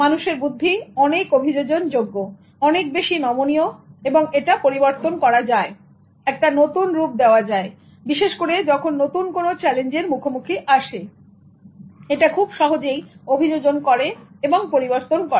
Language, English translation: Bengali, Human intelligence is highly adaptable, it's malleable, it can be changed, it can be molded, especially when it is confronted with new challenges, it can easily adapt, it can change